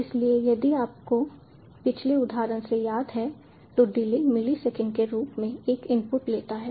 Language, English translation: Hindi, so if you remember from the previous example, delay takes an input in the terms of milliseconds